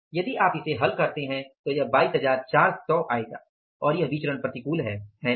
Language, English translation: Hindi, If you solve this, this will work out as 22,400 and this variance is adverse